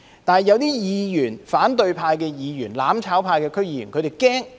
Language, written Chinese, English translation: Cantonese, 為何反對派議員、"攬炒派"區議員會害怕？, Why would opposition Members and DC members of the mutual destruction camp be afraid?